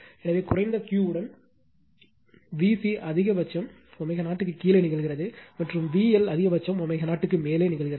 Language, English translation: Tamil, So, with low Q, V C maximum occurs below omega 0, and V L maximum occurs above omega 0